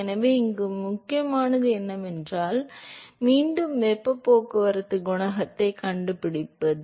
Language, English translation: Tamil, So, what is important here, once again is to find the heat transport coefficient